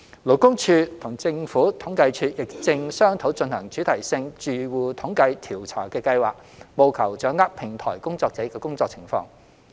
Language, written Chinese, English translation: Cantonese, 勞工處與政府統計處亦正商討進行主題性住戶統計調查的計劃，務求掌握平台工作者的工作情況。, LD and the Census and Statistics Department are discussing plans to conduct a thematic household survey to gauge the working conditions of platform workers